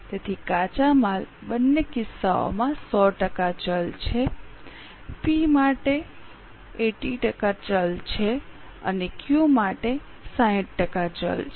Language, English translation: Gujarati, So, raw material is 100% variable in both the cases, power is 80% variable for P and 60% variable for Q and so on